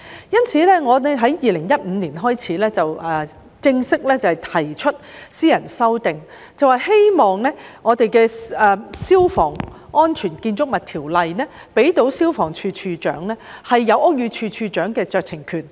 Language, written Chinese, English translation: Cantonese, 因此，我在2015年開始正式提出私人修訂，希望《消防安全條例》可向消防處處長賦予屋宇署署長的酌情權。, Therefore in 2015 I started to formally propose a private Members Bill in the hope that the Fire Safety Buildings Ordinance Cap . 572 might confer on the Director of Fire Services the discretionary power of the Director of Buildings